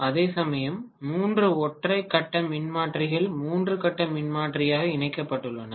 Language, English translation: Tamil, Whereas if I look at three single phase Transformers connected ultimately as the three phase transformer ok